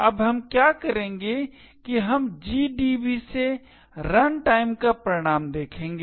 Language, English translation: Hindi, Now what we will do is that we will look the output at runtime from GDB